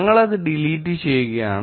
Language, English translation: Malayalam, We will choose to delete it